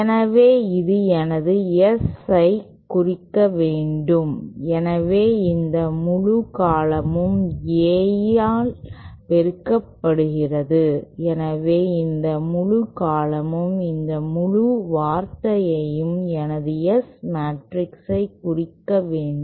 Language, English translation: Tamil, So then this must represent my S so this whole multiplied by A, so this whole term must represent this whole term must represent my S matrix